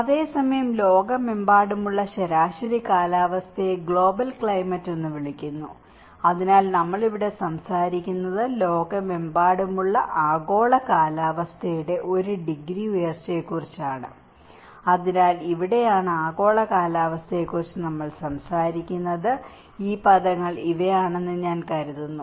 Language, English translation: Malayalam, Whereas, the average climate around the world is called the global climate so, here we are talking about the one degree rise of the global around the world, so that is where we are talking about the global climate so, I think these terminologies are very important for you to understand before understanding the climate change